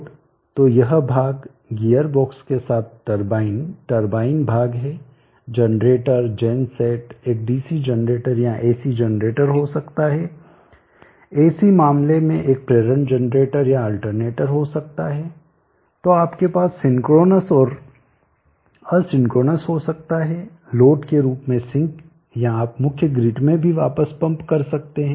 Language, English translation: Hindi, So this portion we turbine with the gear box with the turbine portion the generator gen set can be a DC generator or AC generator, could be a induction generator or alternator in the Ac case, so synchronous and you can have the sink as the load or you can pump back into mains grade also, so these are the different application which are there